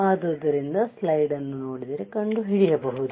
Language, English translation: Kannada, So, if I see the slide what can I find